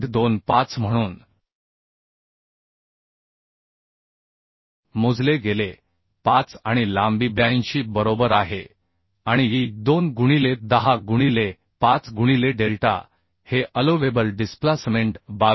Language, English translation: Marathi, 25 and length is 82 right and E is 2 into 10 to the power 5 into delta is the allowable displacement is 22